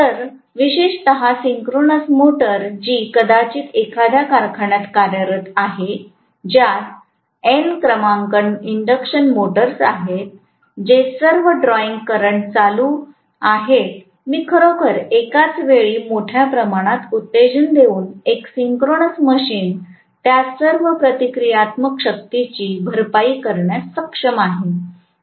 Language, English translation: Marathi, So, especially a synchronous motor, which is probably employed in a factory, which has N number of induction motors, which are all drawing lagging current, I would be able to make one synchronous machine compensate for all that reactive power by actually providing a large amount of excitation to it